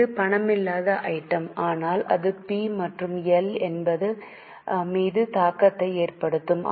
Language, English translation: Tamil, It is a non cash item but it will have impact on P&L